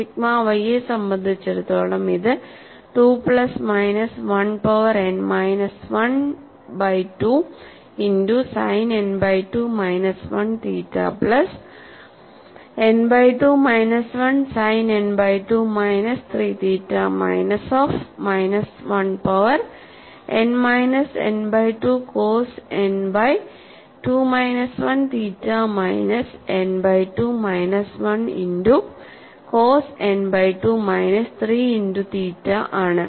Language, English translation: Malayalam, And for sigma y it is 2 plus minus 1 power n minus 1 by 2 n by 2 multiplied by sin n by 2 minus 1 theta plus n by 2 minus 1 sin n by 2 minus 3 theta minus of minus 1 power n minus n by 2 cos n by 2 minus 1 theta minus n by 2 minus 1 multiplied by cos n by 2 minus 3 multiplied by theta